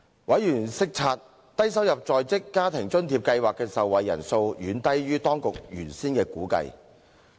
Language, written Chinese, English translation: Cantonese, 委員察悉低收入在職家庭津貼計劃的受惠人數遠低於當局原先的估計。, Members noted that the number of persons benefited from the Low - income Working Family Allowance Scheme was substantially below the Governments original estimate